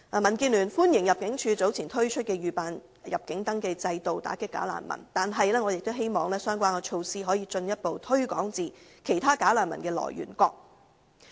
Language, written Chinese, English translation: Cantonese, 民建聯歡迎入境處早前推出預辦入境登記制度以打擊"假難民"，但我亦希望相關措施可以進一步擴展至其他"假難民"的來源國。, The Democratic Alliance for the Betterment and Progress of Hong Kong welcomes the pre - arrival registration system launched by ImmD earlier to combat bogus refugees but I also hope that the relevant measures can be further extended to other countries of origin of bogus refugees